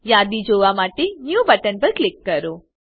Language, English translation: Gujarati, Now, click on New button to view the list